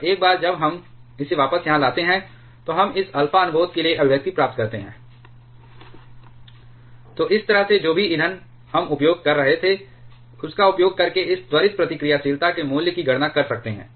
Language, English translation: Hindi, And once we put it back here then we get this expression for this alpha prompt So, this way by using whatever kind of fuel that we were using we can calculate the value of this prompt reactivity